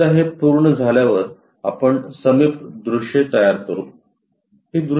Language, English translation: Marathi, Once it is done the adjacent views we will constructed